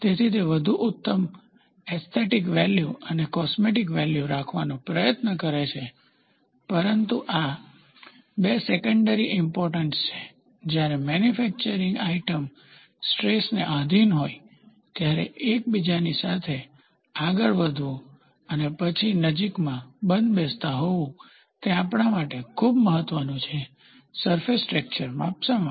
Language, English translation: Gujarati, So, it tries to have a better aesthetic value and cosmetic value, but these 2 are secondary importance, the primary importance is when the manufactured item subject to stress, moving with one another and then, having close fits, it is very important for us to measure the surface texture